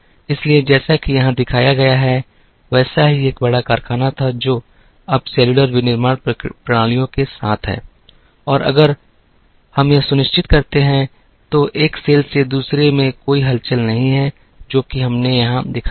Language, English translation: Hindi, So, what was a large factory as shown here, now with the cellular manufacturing systems and if we ensure that, there is no movement from one cell to another, which is what we have shown here